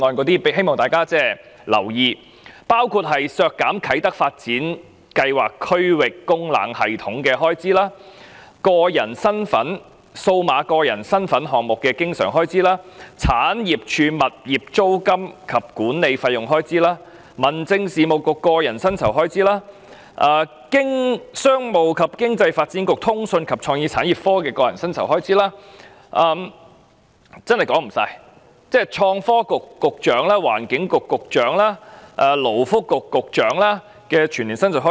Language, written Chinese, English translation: Cantonese, 當中包括削減啟德發展計劃區域供冷系統預算開支、數碼個人身份項目的經常性開支、政府產業署物業租金及管理費用的全年預算開支、民政事務局個人薪酬的全年預算開支、商務及經濟發展局的個人薪酬全年預算開支——真的說不完——創新及科技局局長、環境局局長、勞工及福利局局長的全年薪酬開支。, These include deductions of the estimated expenditure on the District Cooling System at the Kai Tak Development the recurrent expenditure on the electronic identity project the annual estimated expenditure of the Government Property Agency on rents and management charges for properties the annual estimated expenditure of the Home Affairs Bureau on personal emoluments the annual estimated expenditure of the Commerce and Economic Development Bureau on personal emoluments and the annual estimated expenditure on the personal emoluments of the Secretary for Innovation and Technology the Secretary for the Environment and the Secretary for Labour and Welfare to say the least